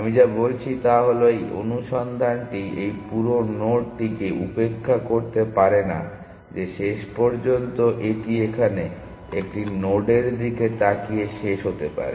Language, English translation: Bengali, What I am saying is that this search cannot ignore this whole node that eventually it may have it may end of looking at a node here